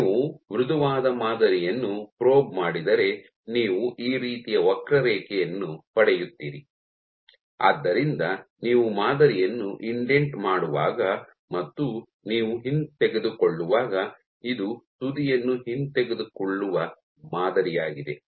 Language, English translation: Kannada, If you probe a soft sample you will get a curve like, so this is when you are indenting the sample and this is when you are retracting, the sample retracting the tip